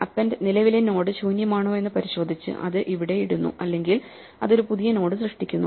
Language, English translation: Malayalam, So, append just checks if the current node is empty then it puts it here otherwise it creates a new node